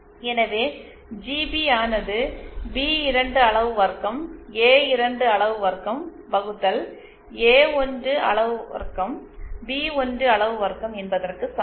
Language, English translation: Tamil, So, we have GP equal to B2 magnitude square A2 magnitude square upon A1 magnitude square A1 magnitude square